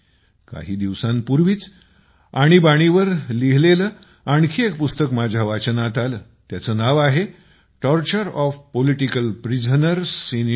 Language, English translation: Marathi, A few days ago I came across another book written on the Emergency, Torture of Political Prisoners in India